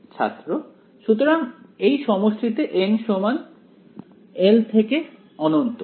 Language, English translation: Bengali, So, in this summation n equal to 1 to infinity